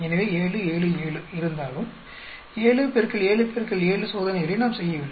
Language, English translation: Tamil, So, although there are 7, 7, 7 we are not doing 7 into 7 into 7 experiments